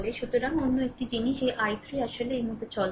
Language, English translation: Bengali, So, another thing is that this i 3 actually moving like this, right